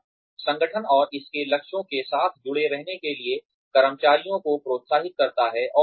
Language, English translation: Hindi, It encourages employees, to stay connected, with the organization and its goals